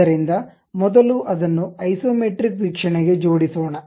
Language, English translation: Kannada, So, let us first arrange it to Isometric view